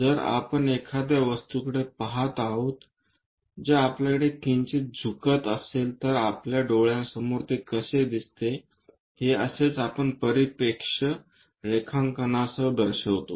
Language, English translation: Marathi, If we are looking a object which is slightly incline to us how it really perceives at our eyes this similar kind of representation we go with perspective drawing